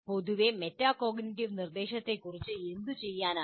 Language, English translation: Malayalam, And in general what can be done about metacognitive instruction